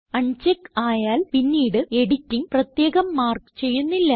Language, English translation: Malayalam, When unchecked, any further editing will not be marked separately